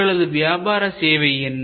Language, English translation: Tamil, What is your service business